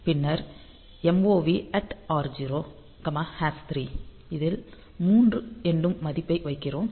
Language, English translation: Tamil, And then at the rate r0; we are putting the value 3